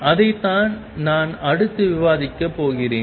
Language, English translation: Tamil, And that is what I am going discuss next